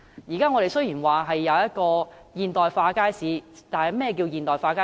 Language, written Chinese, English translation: Cantonese, 現在雖說我們設有現代化的街市，但何謂現代化街市？, Now it is said that we have modernized markets but what is meant by modernized markets?